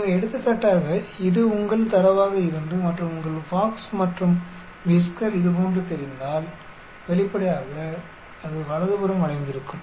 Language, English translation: Tamil, So, for example, if this is your data and your box and whisker looks like this obviously, it is skewed to the right